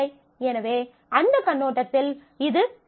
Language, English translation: Tamil, So, it is better from that perspective